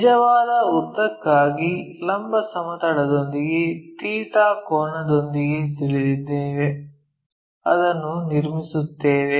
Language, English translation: Kannada, So, true length we know with theta angle with the vertical plane construct it